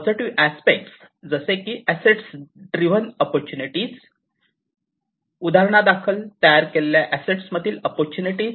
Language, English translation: Marathi, So, positive aspects such as asset driven opportunities, opportunities out of the assets that are created for instance